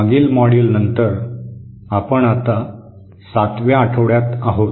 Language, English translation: Marathi, In the previous module, we are in week 7 now